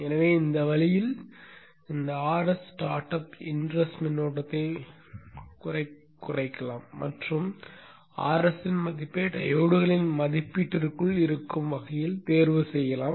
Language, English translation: Tamil, So this way this R S can limit the in rush start up inrush current and the value of the R S can be chosen such that it is within the rating of the diodes